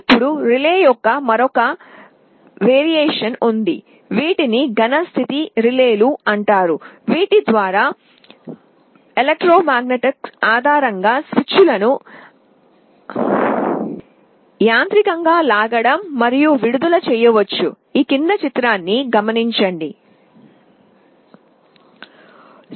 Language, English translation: Telugu, Now there is another version of a relay that is not based on electromagnets pulling and releasing the switches mechanically, but these are called solid state relays